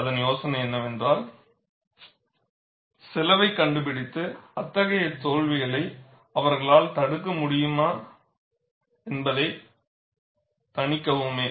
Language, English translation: Tamil, The idea is, find out the cost and mitigate, whether they could prevent such failures